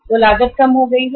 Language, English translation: Hindi, That cost has gone down